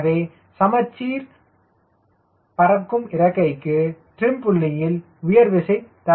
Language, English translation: Tamil, so for this symmetric wing flying wing, it will not be able to generate lift at trim